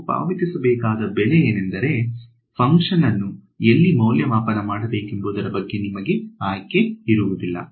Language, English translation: Kannada, The price that you have to pay is that you do not have choice on where to evaluate the function